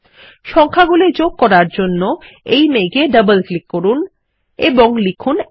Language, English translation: Bengali, To insert the numbers, lets select this cloud, double click and type 1